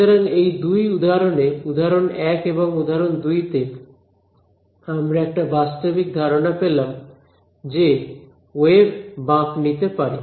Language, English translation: Bengali, So, in both of these examples example 1 and example 2, we get a physical idea that waves are seeming to bend ok